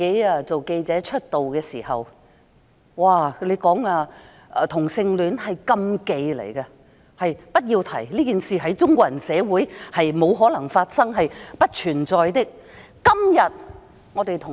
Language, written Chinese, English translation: Cantonese, 當我初出道當記者時，同性戀是禁忌，不可提及，同性戀在中國人社會沒可能發生，是不存在的。, When I first became a journalist homosexuality was a taboo and it was not allowed to be mentioned . Homosexuality was impossible in Chinese communities it simply did not exist